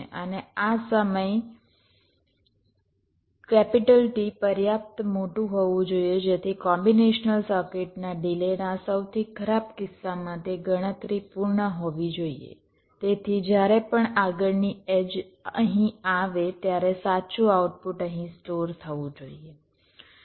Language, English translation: Gujarati, after that this clock comes, and this time t should be large enough so that whatever is the worst case of the delay of the combination circuit, that computation should be complete so that whenever the next edge comes here, the correct output should get stored here